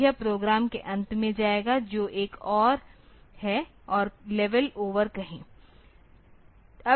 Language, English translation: Hindi, So, it will be go to the end of the program which is another and level say over